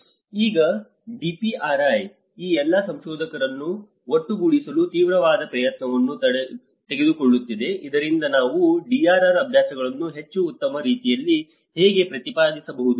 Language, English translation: Kannada, Now, the DPRI is taking an intense effort to bring all these researchers together so that how we can advocate the DRR practices in a much better way